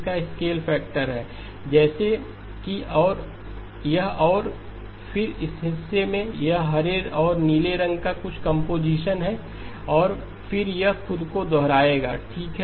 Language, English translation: Hindi, It has a scale factor like this and then in this portion, it is some combination of the green and the blue and then it will repeat itself okay